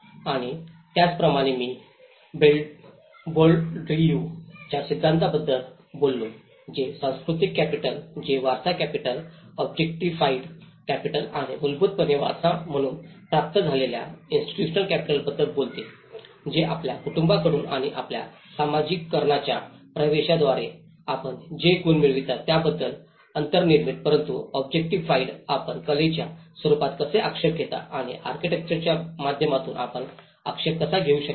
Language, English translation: Marathi, And similarly, I spoke about the Bourdieu’s theory which talks about the cultural capital which is the inherited capital, the objectified capital and the institutional capital inherited which is basically, an inbuilt with what the qualities you achieve from your family and through your socialization process, but in objectified how you objectify in the form of art and how you can objectify through the architecture